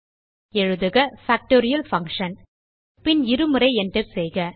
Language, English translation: Tamil, Type Factorial Function: and press enter twice